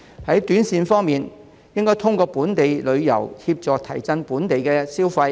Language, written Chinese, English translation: Cantonese, 在短線方面，當局應該透過本地旅遊，協助提振本地消費。, Regarding short - term measures the authorities should help boost local consumption through domestic tourism